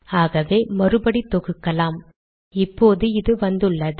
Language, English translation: Tamil, So let me re compile it, so now I have got this